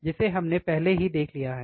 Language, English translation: Hindi, That we have already seen